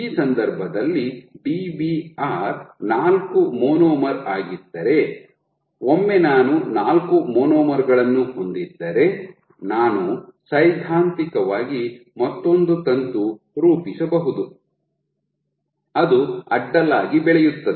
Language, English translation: Kannada, So, if my Dbr in this case is 4 monomers, once I have 4 monomers, I can theoretically form another filament which grows horizontally so on and so forth